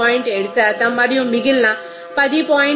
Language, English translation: Telugu, 2 then it is coming 7